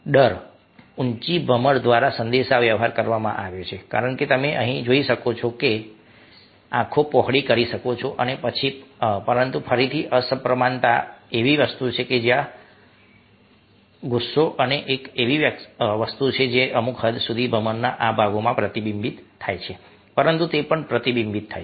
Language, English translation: Gujarati, fear has been communicated through his eyebrows, as you can see over here, and whiten eyes, but again, asymmetrical, something which is their ok, and ah, angry is something which, to a certain extent, ah, is reflected in these part of the eyebrows, but it also reflected in the other parts to a certain extent